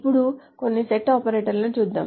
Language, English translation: Telugu, So now let us go over some of the set operators